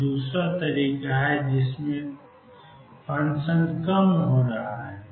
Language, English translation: Hindi, This is the other way function is going to low